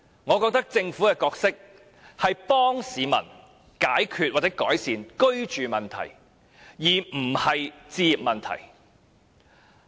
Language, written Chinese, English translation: Cantonese, 我認為政府的角色，是協助市民解決或改善居住問題，而不是置業問題。, I believe the Governments role is to assist people in solving or ameliorating their housing problems instead of their home ownership problem